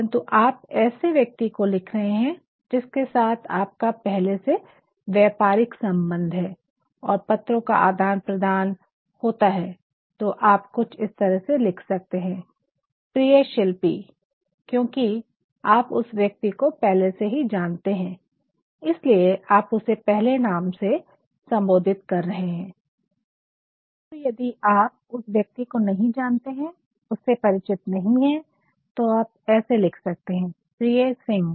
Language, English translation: Hindi, But then if you are writing to a person with whom you have already had a sort of business transaction or an exchange of letter, you can also write dear Shilpi; dear Shilpi because you know the other person that is why you are addressing with the first name